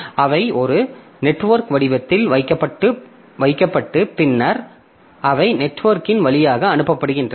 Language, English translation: Tamil, So they are onto a network format and then they are sent over the network